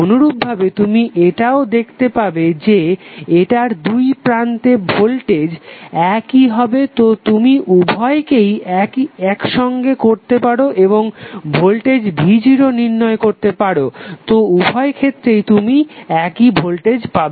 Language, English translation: Bengali, Similarly, you can also see that is voltage across this would be same so you can club both of them and find out also the voltage V Naught so, in both of the cases you will get the same voltage